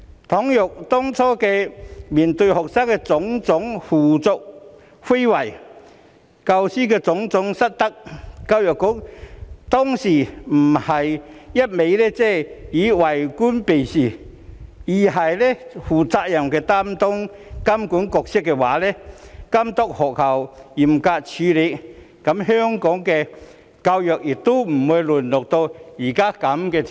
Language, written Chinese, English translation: Cantonese, 倘若當初面對學生的種種胡作非為、教師的種種失德時，教育局不是一味為官避事，而是負責任地擔當監管角色，監督學校嚴格處理，香港的教育亦不會淪落至此。, If the Education Bureau in the face of the misbehaviours of students and the misconduct of teachers had not kept evading its official responsibilities in the first place but played the role as a regulator dutifully to oversee the strict handling by schools education in Hong Kong would not have degenerated to such a state